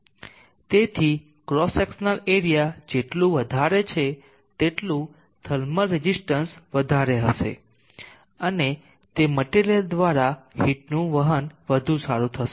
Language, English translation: Gujarati, So great of the cross sectional area smaller will be the thermal resistance and better will be the heat conduction through that material